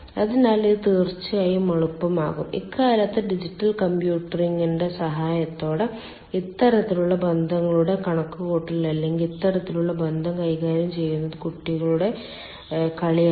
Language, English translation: Malayalam, of course, nowadays, with the help of digital computing, calculation of this kind of relationships or tackling this kind of relationship is childs play